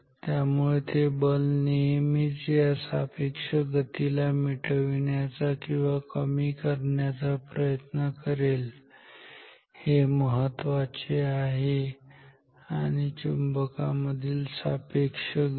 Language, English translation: Marathi, So, the force always tries to eliminate or minimize the relative motion this is important the relative motion between the magnet and the plate